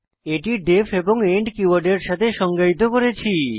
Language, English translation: Bengali, They are both defined with the def and end keywords